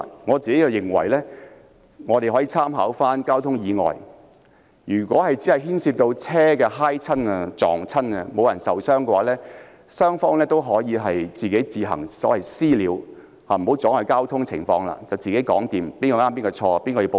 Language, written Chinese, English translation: Cantonese, 我認為可以參考交通意外的處理方法，如果只是牽涉車輛碰撞而無人受傷，雙方可以私下解決，自行協商誰對誰錯、由誰向保險公司申報，全部自行處理，不要阻礙交通。, In my opinion references could be drawn from the way traffic accidents are handled . Incidents with vehicle collision but no injury involved shall be settled privately between the two parties . They can negotiate between themselves who is right and who is wrong and decide who should file an insurance claim